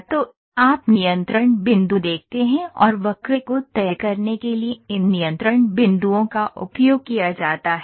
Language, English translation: Hindi, So, you see the control points and these control points are used to decide the curve